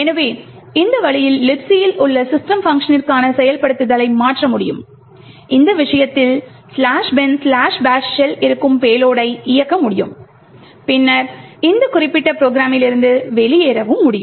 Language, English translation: Tamil, So, in this way we are able to subvert execution to the system function present in LibC we are able to run a payload which in this case is the slash bin slash bash shell and then also exit from this particular program